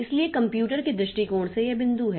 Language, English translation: Hindi, So, from computer point of view, so this is the point